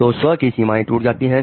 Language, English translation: Hindi, So the boundary of self is broken